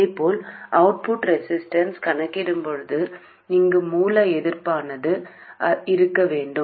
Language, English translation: Tamil, Similarly, while calculating the output resistance, the source resistance here must be in place